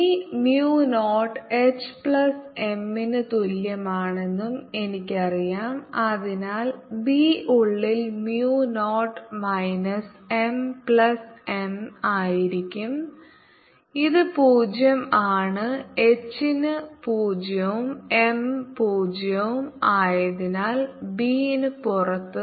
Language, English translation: Malayalam, i also know that b is equal to mu zero, h plus m and therefore b inside will be mu zero minus m plus m, which is zero, and b outside, since h is zero will be zero, m is zero there